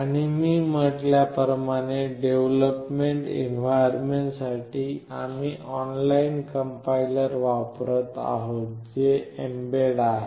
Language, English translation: Marathi, And as I had said for development environment we will be using an online complier that is mbed